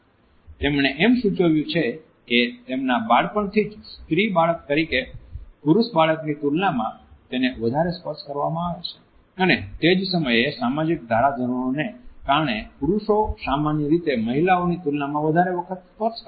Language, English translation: Gujarati, She has also suggested that since their early childhood it is the young female child who is touched more in comparison to a male child, and at the same time because of the social norms men normally initiate touch more frequently than women